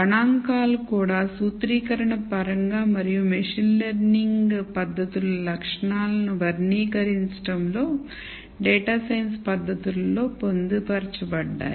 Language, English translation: Telugu, Statistics is also intricately embedded into the data science techniques in terms of the formulation themselves and also in characterizing the properties of the machine learning techniques